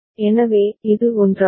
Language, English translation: Tamil, So, this is the one